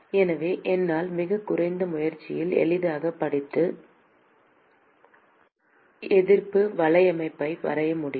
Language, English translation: Tamil, So, I can easily read out and draw the resistance network with really minimal effort